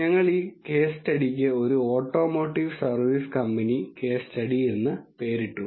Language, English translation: Malayalam, We have named this case study as automotive service company case study